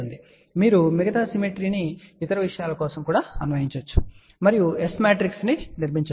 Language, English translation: Telugu, And you can apply the rest of the symmetry for other thing and build the S matrix yourself ok